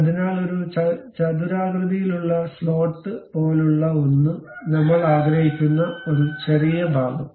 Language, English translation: Malayalam, So, something like a rectangular slot, a small portion I would like to have